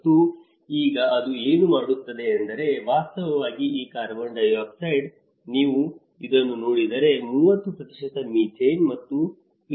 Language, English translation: Kannada, And now, what it is doing is, in fact this carbon dioxide, if you look at this, there is a methane going up to the 30% and 54